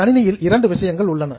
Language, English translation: Tamil, There are two things in computer